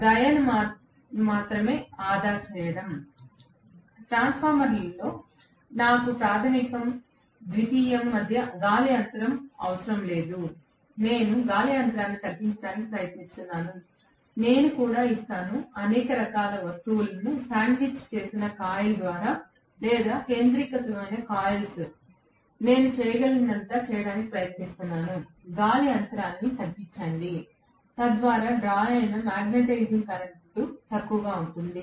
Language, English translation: Telugu, Only saving grace is, in the transformer I do not have any air gap between the primary and secondary, I try to minimize the air gap, I put also or sorts of things sandwiched coil or concentric coils, I try to do whatever I can to reduce the air gap, so that the magnetizing current drawn is minimal